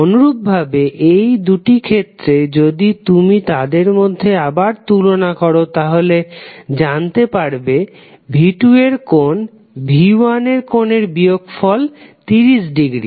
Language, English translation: Bengali, Similarly for these two cases if you compare both of them, again you will come to know the angle of V2 minus V1 is equal to 30 degree